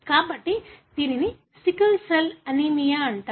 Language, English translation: Telugu, So, that is why that is called as sickle cell anaemia